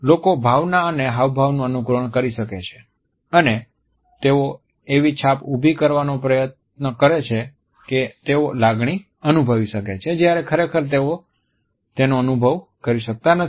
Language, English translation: Gujarati, Sometimes we find that people can simulate emotion, expressions and they may attempt to create the impression that they feel an emotion whereas, they are not experiencing it at all